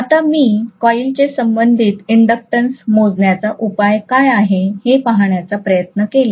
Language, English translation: Marathi, Now if I try to look at what is the corresponding inductance measure of the coil